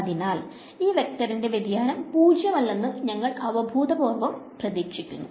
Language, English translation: Malayalam, So, we intuitively expect that the divergence of this vector will be non zero